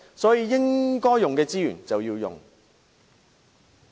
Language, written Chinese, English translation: Cantonese, 所以，資源應用則用。, Hence resources should be used where necessary